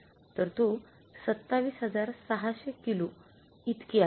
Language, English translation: Marathi, 27,600 kG is right